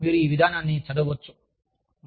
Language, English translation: Telugu, And, you can read, this policy